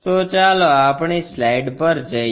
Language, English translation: Gujarati, So, let us go on to our slide